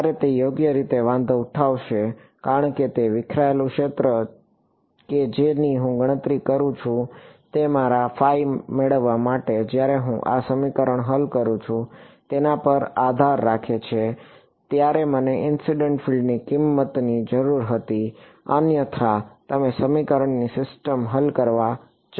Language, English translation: Gujarati, While it will matter right because a scattered field that I calculate, will depend on the I mean when I solved these equations to get my phi, I needed the value of the incident field otherwise you going to a solved the system of equations